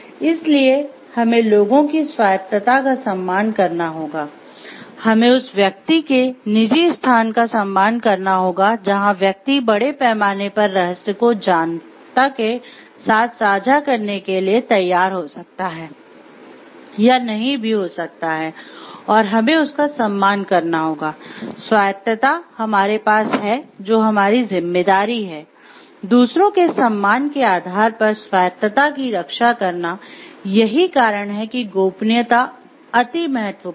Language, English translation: Hindi, So, we have to respect peoples autonomy, we have to respect the private space of the person, where the person may or may not be willing to share certain parts of the secrets with the public at large and we need to respect that part of autonomy and we have to, which is our responsibility also to protect the autonomy by the virtue of respect to others, that is why confidentiality is important